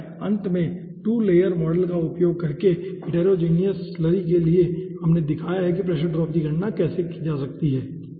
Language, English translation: Hindi, and finally, for heterogeneous slurry, using 2 layer model, we have shown how pressure drop to be calculated